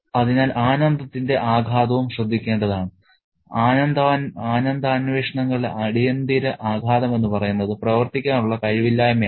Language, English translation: Malayalam, So, it's also important to note that the impact of the pleasure, the immediate impact of pleasure pursuits is the inability to function